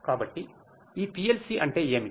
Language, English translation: Telugu, So, what is this PLC